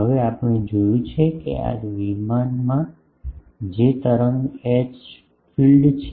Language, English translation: Gujarati, Now, we have seen that the wave H field that is in this plane